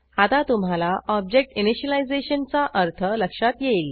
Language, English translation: Marathi, Now, you would have understood what object initialization means